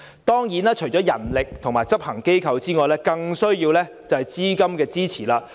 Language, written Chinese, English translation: Cantonese, 當然，除了人力及執行機構外，更需要的是資金的支持。, Of course besides manpower and executive organizations funding support is even more important